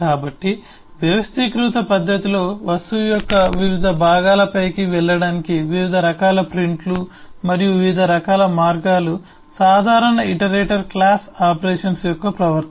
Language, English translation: Telugu, so different kinds of prints and eh, different kinds of ways to go over the different parts of the object in an organized manner, is the behavior of the common iterator class of operations